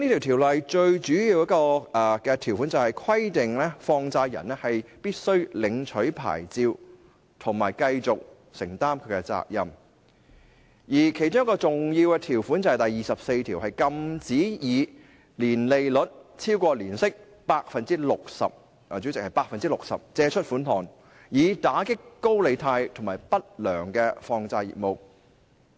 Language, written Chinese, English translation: Cantonese, 《條例》最主要的條款，是規定放債人必須領取牌照及繼續承擔責任，而另一項重要的條款就是第24條，禁止以超過年息 60%—— 代理主席，是 60%—— 的實際利率借出款項，以打擊高利貸和不良放債業務。, The principal provision of the Ordinance stipulates that a money lender must obtain a licence and continue to assume responsibility . Section 24 another major provision prohibits any person to lend money at an effective rate of interest which exceeds 60 % per annum―Deputy President it is 60 % ―with a view to combating loan - sharking and bad money lending business